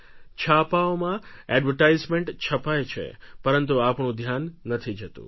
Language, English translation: Gujarati, There are advertisements in the newspapers but it escapes our attention